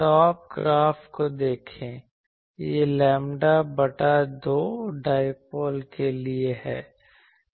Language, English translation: Hindi, Look at the top graph it is for a lambda by 2 dipoles